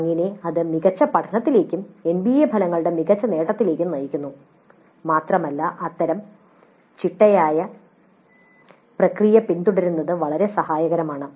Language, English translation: Malayalam, Thus it leads to better learning and better attainment of the NBA outcomes and it is very helpful to follow such a systematic process